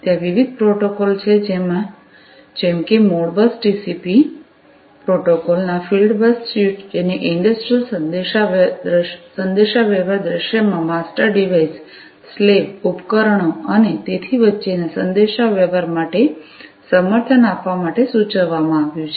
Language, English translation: Gujarati, And there are different protocols such as the Modbus TCP the fieldbus suite of protocols etcetera etcetera, which have been proposed in order to have support for communication between master devices, slave devices, and so on in an industrial communication scenario